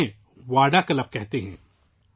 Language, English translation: Urdu, They call these VADA clubs